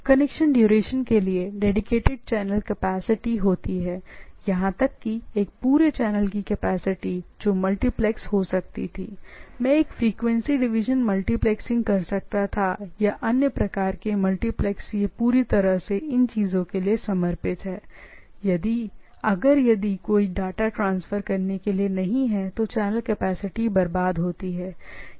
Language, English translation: Hindi, Channel capacity dedicated for a duration of the connection, even a whole channel capacity which could have been properly multiplexed right, I could have done a frequency division multiplexing etcetera or other type of multiplex it is fully dedicated for the things right, or if even no data is there, the channel is wasted, right